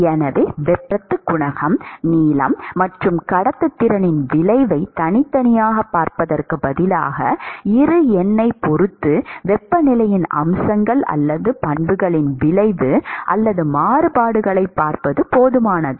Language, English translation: Tamil, So, instead of looking at the heat transport coefficient, length, and the effect of conductivity individually, it is enough to look at the effect or the variations of the features or properties of the temperature with respect to Bi number